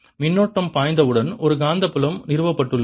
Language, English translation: Tamil, as soon as the current flows, there is a magnetic field established